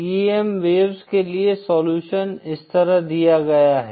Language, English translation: Hindi, The Solution for the TEM waves are given like this